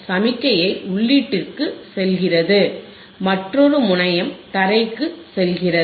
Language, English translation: Tamil, The signal goes to the input and another terminal goes to the ground another terminal goes to the ground